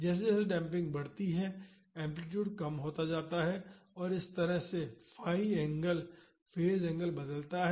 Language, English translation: Hindi, As the damping increases the amplitude decreases and this is how the phi angle the phase angle changes